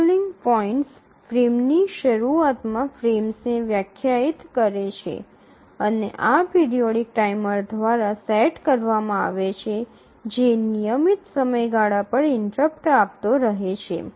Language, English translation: Gujarati, So, the scheduling points define the frames, the beginning of the frames and these are set by a periodic timer which keeps on giving interrupts at regular intervals